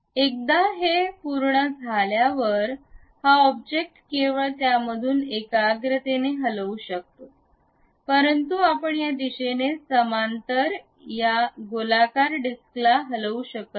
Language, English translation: Marathi, Once you are done, this object can move concentrically out of that only, but you cannot really move this circular disc away parallel to this in this direction